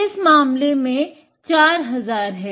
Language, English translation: Hindi, This case, 4000